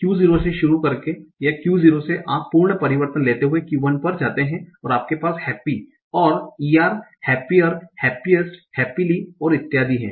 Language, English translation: Hindi, So you can say unhappy, unhappy, starting from Q0 or from Q 0 you take an absolute transition, go to Q1 and you have happy and ER happier, happiest, happily and so on